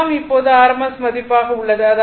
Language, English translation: Tamil, So, it is rms value all are rms value